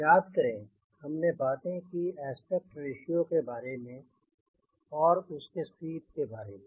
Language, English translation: Hindi, remember we talked about aspect ratio, then we talk about sweep